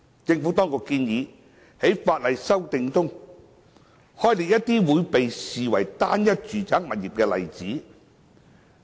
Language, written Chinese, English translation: Cantonese, 政府當局建議在修訂法案中，開列一些會被視為"單一"住宅物業的例子。, The Administration has also proposed to set out in the legislative amendments some examples which would be regarded as a single residential property